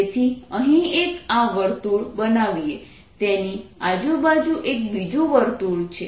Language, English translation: Gujarati, so i will make this circle is one circle like this